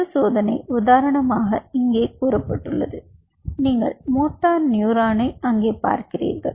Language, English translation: Tamil, one test is: say, for example, you have, you know, you see the motor neuron out there